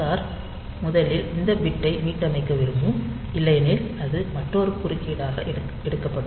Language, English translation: Tamil, So, you may like to reset that bit first otherwise it will be taken as another interrupt